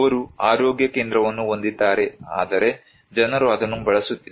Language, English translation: Kannada, They have health center but, people are not using that